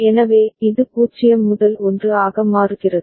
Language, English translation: Tamil, So, it becomes 0 to 1